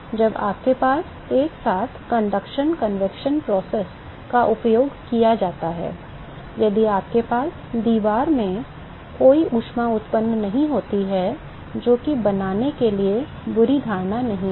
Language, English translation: Hindi, When you have simultaneous conduction convection process used, if you do not have any heat generation in the wall which is not the bad assumption to make